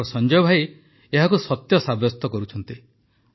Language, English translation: Odia, Our Sanjay Bhai is proving this saying to be right